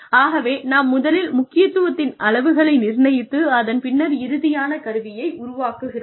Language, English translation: Tamil, So, we sort of assigned, levels of importance, and then, you develop a final instrument